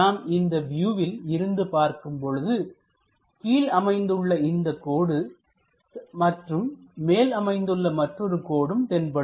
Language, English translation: Tamil, So, when we are looking from this view this line will be visible and this one there is one more line visible